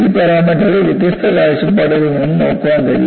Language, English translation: Malayalam, And these parameters can also be looked from different points of view